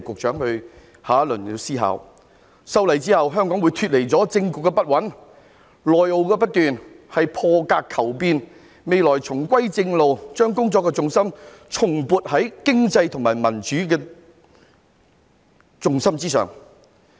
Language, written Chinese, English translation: Cantonese, 在修例後，香港會脫離政局不穩、內耗不斷的情況，我們是破格求變，未來將會重歸正路，把工作的重心重撥到經濟及民主之上。, After the legislative amendment exercise Hong Kong will be free from political instability and incessant internal attrition . By making changes through breaking the conventions we shall get back to the right track in the future so as to refocus our work on the economy and democracy